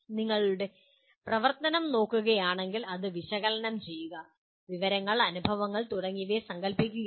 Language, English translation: Malayalam, But if you look at the activity, it is analyzing, conceptualizing information, experiences and so on